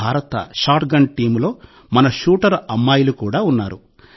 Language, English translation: Telugu, Our shooter daughters are also part of the Indian shotgun team